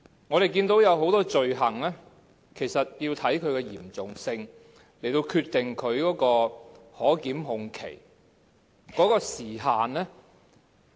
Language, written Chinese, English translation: Cantonese, 我們見到很多罪行其實是要視乎其嚴重性來決定可檢控期。, We can see that the time limits for prosecution of many crimes actually hinge on the gravity of such offences